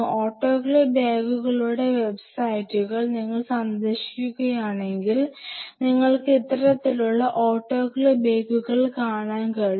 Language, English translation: Malayalam, And if you visit websites of autoclave bags autoclave bags, you can see these kind of autoclave bags